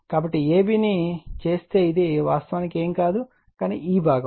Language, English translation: Telugu, So, if you make it this AB actually is nothing, but this component